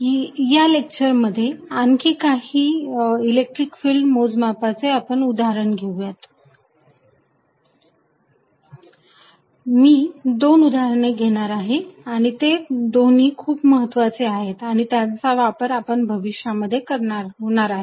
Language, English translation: Marathi, Let us do some more examples of calculating electric field in this lecture, I will do two examples here and both are important and will be used in the future